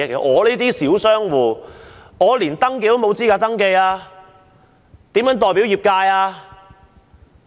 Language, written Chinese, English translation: Cantonese, 我這類小商戶，連登記的資格都沒有，如何代表業界？, As small enterprises as in my case are not even eligible to register how can they represent the industry?